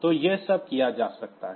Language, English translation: Hindi, So, all these can be done ok